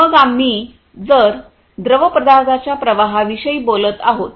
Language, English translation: Marathi, Then we if we are talking about fluid flow